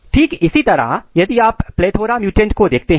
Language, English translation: Hindi, Similarly, if you look the plethora mutants